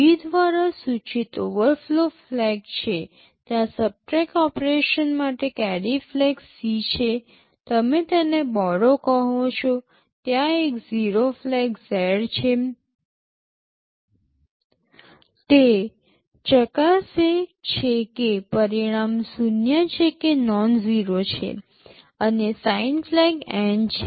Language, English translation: Gujarati, There is an overflow flag denoted by V, there is a carry flag C for subtract operation; you call it the borrow, there is a zero flag Z, it checks whether the result is zero or nonzero, and the sign flag N